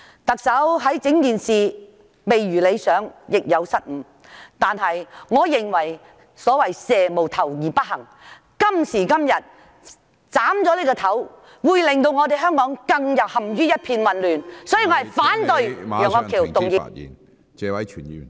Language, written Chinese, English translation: Cantonese, 特首在整件事情上做得未如理想，亦有失誤，但我認為蛇無頭而不行，今天如果我們斬了這個頭，會令香港陷入更混亂的境況。, Although the Chief Executive did have something to be desired in the whole matter and made some mistakes I think we need a leader to lead us along . If we get rid of the leader today Hong Kong will become more chaotic